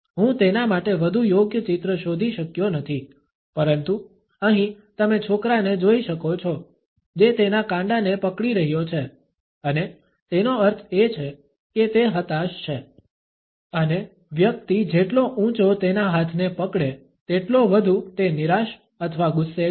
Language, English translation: Gujarati, I could not find a more suitable picture for that, but here you can see the boy who is gripping his wrist and that means that he is frustrated and the higher the person grips his arm the more frustrated or angst